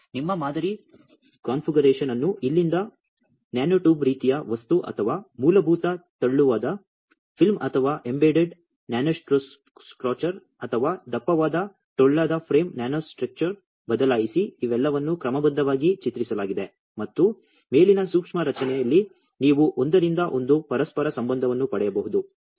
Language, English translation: Kannada, And change your sample configuration from here to a nanotube kind of thing or a basic thin film, or a embedded nanostructure, or a thick hollow frame nanostructure, these are all schematically drawn and one to one correlation you can get in the upper micro structure